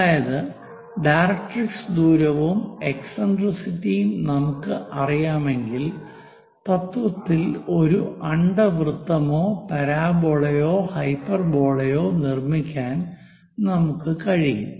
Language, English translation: Malayalam, That means if we know the directrix distance and eccentricity, in principle, we will be in a position to construct it can be ellipse, parabola, hyperbola